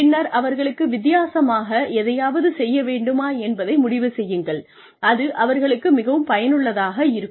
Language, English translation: Tamil, And then decide, whether we can do anything differently, to make it more worthwhile for them